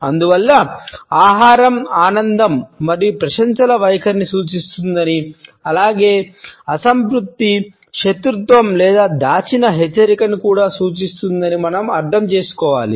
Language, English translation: Telugu, Therefore, we have to understand that food suggest an attitude of pleasure and appreciation, as well as displeasure, animosity or even a hidden warning